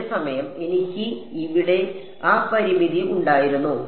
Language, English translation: Malayalam, Whereas, did I have that limitation here